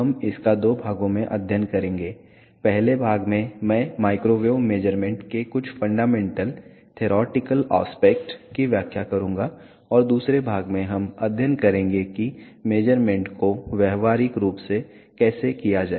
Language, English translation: Hindi, We will study this into parts, in first part I will explain some fundamental theoretical aspects of microwave measurements and in the second part we will study how to do the measurements practically